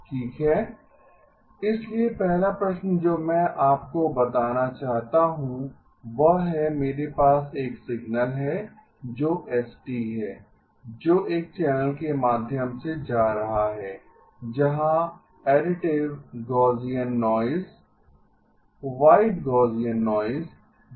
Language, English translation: Hindi, Okay, so the first question that I want to pose to you is I have a signal which is s of t which is going through a channel where additive Gaussian noise, white Gaussian noise is added